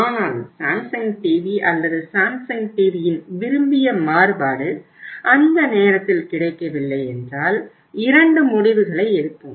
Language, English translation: Tamil, But if the Samsung TV or that desired variant of the Samsung TV if it is not available at that time we take two decisions